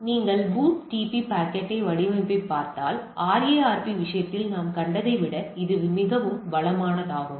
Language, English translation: Tamil, So, if you look at the BOOTP packet format it is much enriched than what we have seen in case of RARP